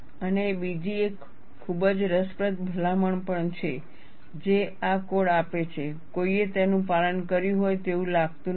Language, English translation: Gujarati, And there is also another very interesting recommendation this code gives; no one seems to have followed it